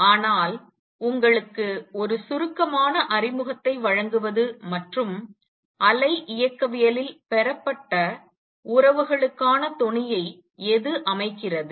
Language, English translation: Tamil, But to give you a brief introduction and what it sets the tone for the relations that are derived in wave mechanics also